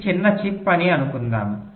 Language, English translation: Telugu, let say this is a small chip